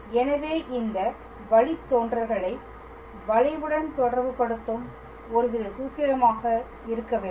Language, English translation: Tamil, So, there must be some kind of formula that would relate these derivatives with the curve itself